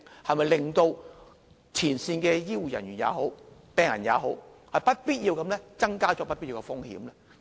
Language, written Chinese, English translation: Cantonese, 是否只會令前線的醫護人員或病人增加不必要的風險呢？, Without the software will it only increase the unnecessary risks of our frontline health care staff and patients?